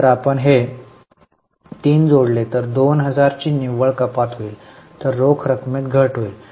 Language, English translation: Marathi, If you add these three, there is a net reduction of 2000